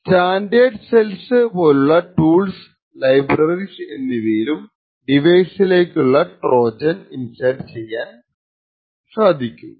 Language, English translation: Malayalam, Similarly, tools and libraries like standard cells may force Trojans to be inserted into the device